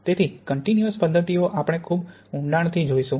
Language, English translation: Gujarati, So continuous methods we are going to look at very, very briefly